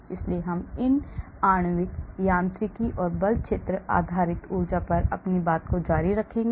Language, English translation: Hindi, so we will continue more on these molecular mechanics or force field based energy